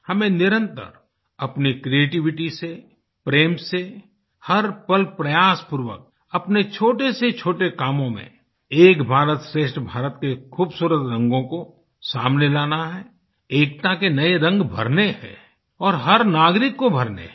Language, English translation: Hindi, We have to constantly try through our creativity and love to bring out the beautiful colors of 'Ek BharatShrestha Bharat' even in the smallest of our tasks